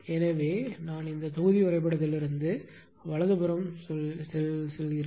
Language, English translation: Tamil, So, from the block diagram I mean from this block diagram from this block diagram right